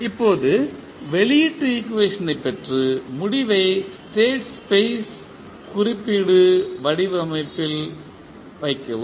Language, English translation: Tamil, Now, obtain the output equation and the put the final result in state space representation format